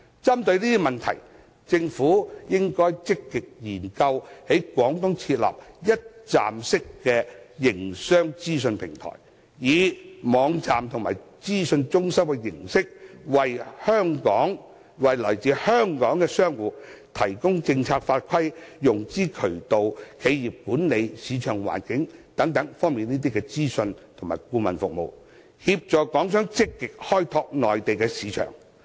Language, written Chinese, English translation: Cantonese, 針對此問題，政府應積極研究在廣東設立一站式營商資訊平台，以網站和資訊中心的形式，為來自香港的商戶提供政策法規、融資渠道、企業管理和市場環境等方面的資訊及顧問服務，協助港商積極開拓內地市場。, In this connection the Government should actively consider setting up in Guangdong a one - stop business information platform in the form of website and information centre to provide information on policy legislation financing channel business management and market environment for merchants coming from Hong Kong so as to help them actively develop their Mainland market